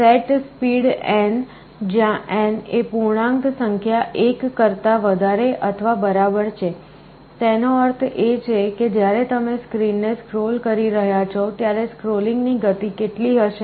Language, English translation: Gujarati, setSpeed, where n is an integer greater than or equal to 1, means when you are scrolling the screen, what will be the speed of scrolling